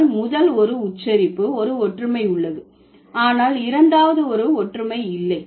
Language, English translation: Tamil, But in the first one, there is a similarity in pronunciation, but in the second one there is no similarity